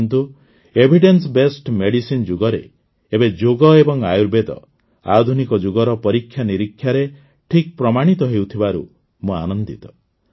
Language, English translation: Odia, But, I am happy that in the era of Evidencebased medicine, Yoga and Ayurveda are now standing up to the touchstone of tests of the modern era